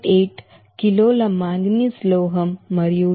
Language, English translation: Telugu, 8 kg of manganese metal and 2